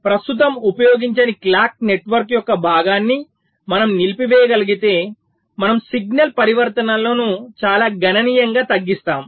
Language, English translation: Telugu, so if we can disable the part of clock network which is not correctly being used, we are effectively reducing the signal transitions quite significantly